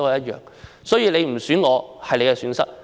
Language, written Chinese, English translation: Cantonese, 如果你不選我，是你的損失。, It is your loss if you do not choose me